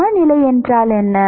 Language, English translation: Tamil, What is the equilibrium